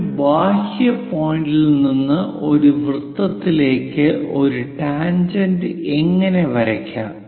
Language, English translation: Malayalam, How to draw a tangent to a circle from an exterior point P